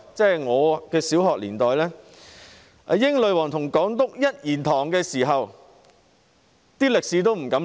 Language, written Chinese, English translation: Cantonese, 在我的小學年代，英女皇與港督一言堂，也不敢在歷史方面亂說。, In my primary school days the Queen of the United Kingdom and the Governor of Hong Kong dared not speak carelessly about history even though they alone had the say